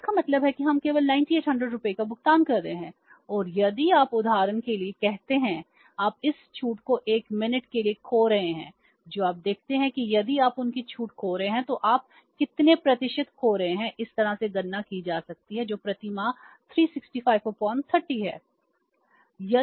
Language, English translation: Hindi, So, it means we are only paying 9,800 rupees and if you say for example you are losing this discount for a minute you see that if you are losing this discount then how much in percentage terms you are losing this can be calculated this way that is 365 divided by 30 per month if you calculate this works out as how much 24